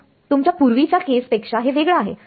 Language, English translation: Marathi, So, this is different from your previous case